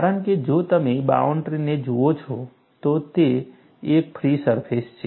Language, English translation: Gujarati, Because, if you look at the boundary, it is a free surface